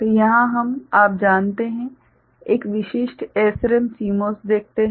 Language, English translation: Hindi, So, here we see one you know typical SRAM CMOS ok